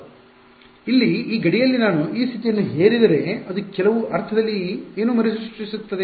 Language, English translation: Kannada, So, at this boundary over here if I impose this condition what does it recreating in some sense